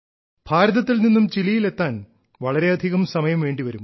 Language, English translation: Malayalam, It takes a lot of time to reach Chile from India